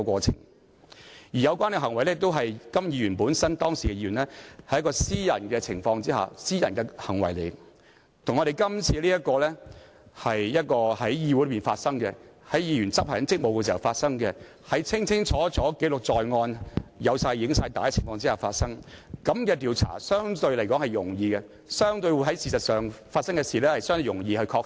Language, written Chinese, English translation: Cantonese, 再者，有關行為是時任議員的甘乃威在私人場合的行為，而這次卻是在議會內議員執行職務時發生，清清楚楚記錄在案，更有錄影帶記錄，這樣的調查相對較容易，所發生的事實相對容易確定。, Moreover the conduct in question took place on a private occasion when KAM Nai - wai was an incumbent Member . As for the present case the acts took place during a meeting when the Member was discharging his duties where the incident was put on record clearly and recorded on video . As such it will be relatively easy to conduct the investigation and confirm the facts